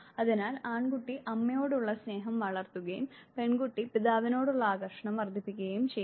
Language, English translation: Malayalam, So, male child would develop love for the mother and the female child would develop that degree of attraction for the father